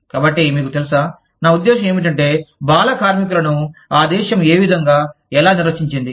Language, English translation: Telugu, So, you know, i mean, what does the country, how does the country, defined child labor